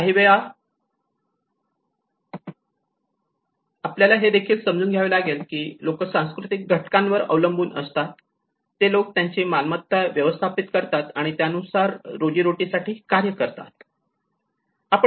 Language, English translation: Marathi, Sometimes we also have to understand it is also true the cultural factors which people manage their assets and make their livelihood choices to act upon